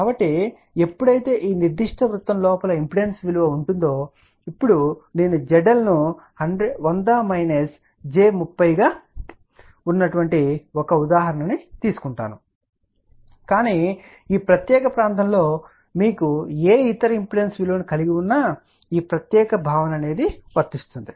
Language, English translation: Telugu, So, when the impedance in this particular circle now I am taking an example Z L which is 100 minus j 30, but you can have any other impedance value in this particular region this particular concept will be applicable